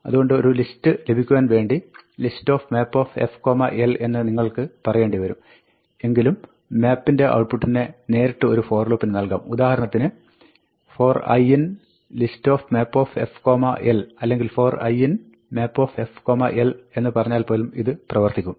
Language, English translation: Malayalam, So, you need to say list of map f l to get a list, and you can however, use the output of map directly in a for loop, by saying, for i in list map f l or you can even say for i in map f l, this will work